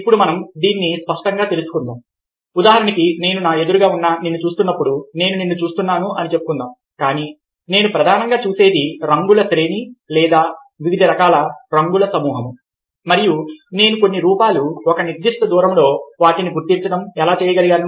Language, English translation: Telugu, for instance, when i am looking in front of me, let us say: i see you, but what i see, basically, are a series of colours or group of colours of various kinds, certain forms, and i am able to locate them at a certain distance